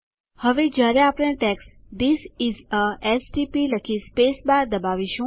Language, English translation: Gujarati, Now as soon as we write the text This is a stp and press the spacebar